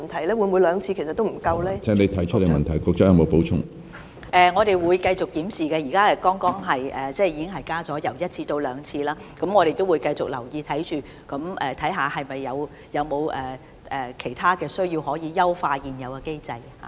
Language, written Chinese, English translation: Cantonese, 我們會繼續檢視有關情況，現時醫管局剛剛已將檢視次數由每年一次增加至兩次，但我們會繼續留意，看看有否其他地方可以優化現有的機制。, We will continue to examine the situation . HA has just increased the review frequency from once a year to twice a year . But we will continue to monitor the situation and see if anything else can be done to optimize the present mechanism